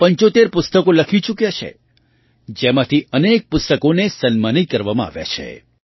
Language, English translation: Gujarati, He has written 75 books, many of which have received acclaims